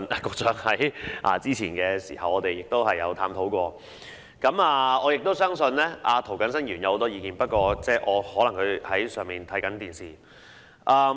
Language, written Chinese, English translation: Cantonese, 局長早前也與我們探討過，我相信涂謹申議員亦有很多意見，他可能在辦公室收看直播。, The Secretary has discussed this with us before . I believe Mr James TO who is perhaps watching the live broadcast in his office now has a lot to say about this too